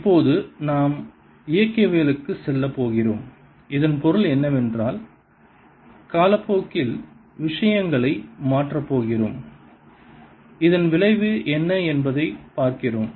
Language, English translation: Tamil, now we are going to go into dynamics and what that means is we are going to change things with time and see what is the effect of this